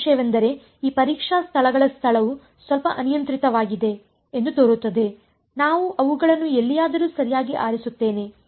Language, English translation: Kannada, Only thing is that the location of these testing points seems a little arbitrary right, I just pick them anywhere right